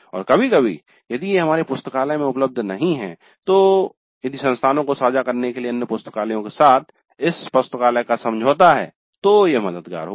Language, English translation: Hindi, And occasionally if it is not available in our library, if there is an agreement of this library with other libraries to share the resources, then it would be helpful